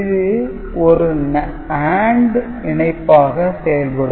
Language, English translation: Tamil, So, it will be giving an AND logic